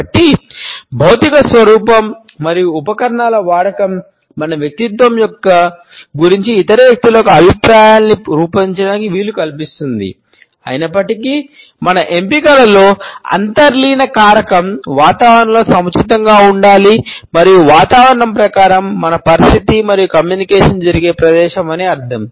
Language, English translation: Telugu, So, about physical appearance and the use of accessories enables other people to form opinions about our personality, however the underlying factor in our choices should be appropriateness within an environment and by environment we mean the situation and the place where the communication takes place